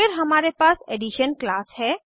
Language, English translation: Hindi, Then we have class Addition